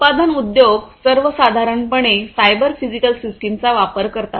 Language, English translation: Marathi, In the industry, in general, manufacturing industries will use cyber physical systems